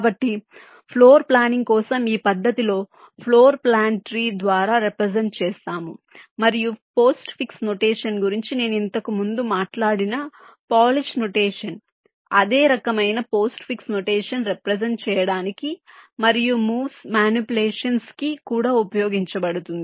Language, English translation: Telugu, ok, so so in this method for floor planning, the floor plan is represented by a tree and the polish notation that i talked about earlier, that postfix notation, that same kind of postfix notation, is used for representation and also for manipulation of the moves